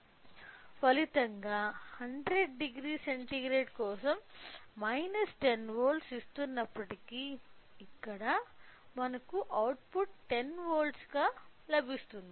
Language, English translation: Telugu, So, as a result even though if for 100 degree centigrade if this is giving minus 10 volt, here we will get output as 10 volt